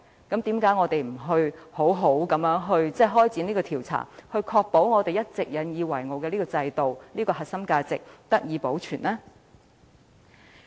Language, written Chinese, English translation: Cantonese, 既然如此，為何我們不好好展開調查，以確保我們一直引以自豪的制度、核心價值能得以保存呢？, Such being the case why not carry out an investigation properly so as to ensure that the system and core values which we have been so proud of over the years can be maintained?